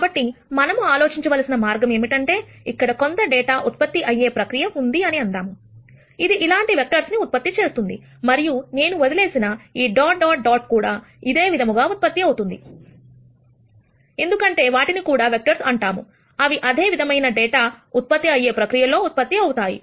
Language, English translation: Telugu, So, the way to think about this it is let us say there is some data generation process, which is generating vectors like this, and the dot dot dots that I have left out, will also be generated in the same fashion, because those are also vectors that are being generated by the same data generation process